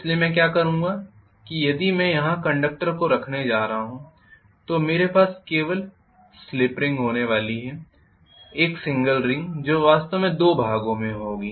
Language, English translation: Hindi, So what I will do is if I am going to have the conductor here I am going to have a ring only 1 single ring that ring will be actually having two portions